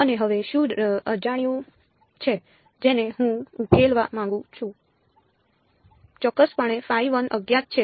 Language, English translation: Gujarati, And what is unknown now